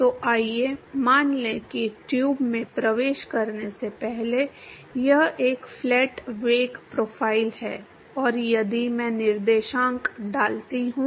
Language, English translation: Hindi, So, let us assume that it is a flat velocity profile before it enters the tube and if I put coordinates